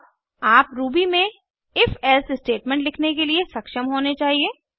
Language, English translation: Hindi, You should now be able to write your own if elsif statement in Ruby